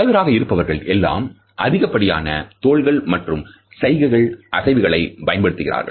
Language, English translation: Tamil, And those who were leaders tended to use more shoulder and arm gestures